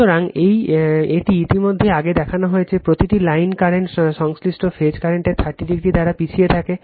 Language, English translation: Bengali, So, it is already shown earlier right, each line current lags the corresponding phase current by 30 degree